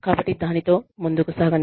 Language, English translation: Telugu, So, let us get on, with it